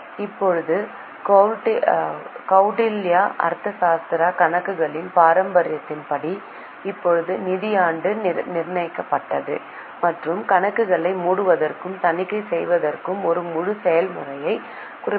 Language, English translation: Tamil, Now according to Kautilya Arthashtra, maintenance of accounts, now the financial year was fixed and a full process for closure of accounts and audit of the same was also mentioned